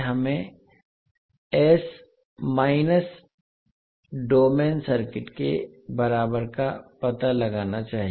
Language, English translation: Hindi, We have to find out the s minus domain equivalent of the circuit